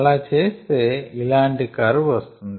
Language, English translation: Telugu, if we do that, then we get a curve like this